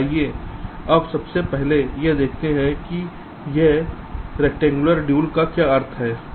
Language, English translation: Hindi, now let us first very quickly see what this rectangular dual means